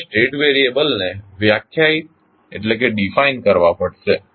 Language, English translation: Gujarati, You have to define the State variables